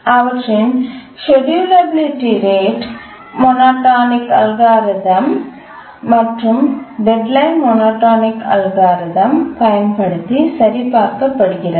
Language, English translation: Tamil, Now we need to check for their schedulability using the rate monotonic algorithm and the deadline monotonic algorithm